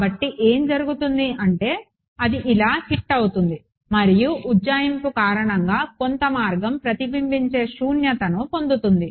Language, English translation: Telugu, So, what will happen is this hits it like this and due to the approximation some way will get reflected vacuum